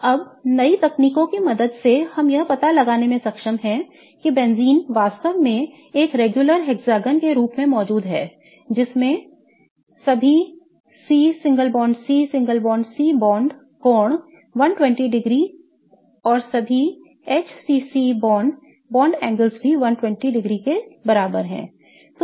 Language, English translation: Hindi, Now, with the help of newer techniques we are able to figure out that benzene really exists as a regular hexagon with all CCC bond angles to be 120 degrees and all the HCC bond angles also to be 120 degrees